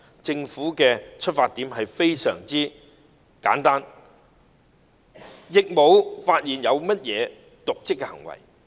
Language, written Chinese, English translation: Cantonese, 政府出發點非常簡單，在修例的程序中沒有發現任何瀆職行為。, The objectives of the Government were very simple . I do not see any dereliction in the procedures of the legislative amendment exercise